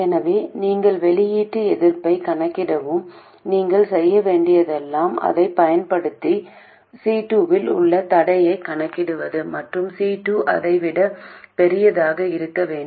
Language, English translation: Tamil, So once you calculate the output resistance, all you have to do is calculate the constraint on C2 using this and C2 to be much larger than that one